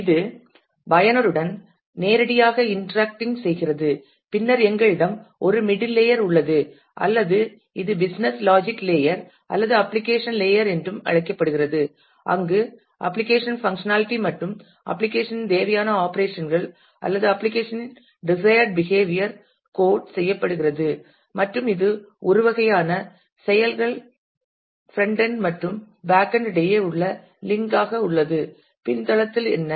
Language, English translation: Tamil, Which is directly interacting with the user then we have a middle layer or its also called the business logic layer or the application layer where the functionality of the application the required operations of the or desired behavior of the application are coded and it is kind of acts as a link between the frontend and the backend and what is the backend